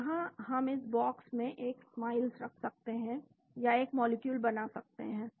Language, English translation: Hindi, So, here we can place a Smiles in this box or draw a molecule